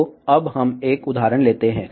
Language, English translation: Hindi, So, now let us take a design example